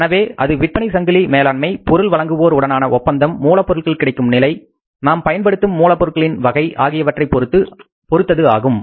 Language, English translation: Tamil, So that depends upon the supply chain arrangements, arrangements with the suppliers, availability of the raw material, type of the raw material we are using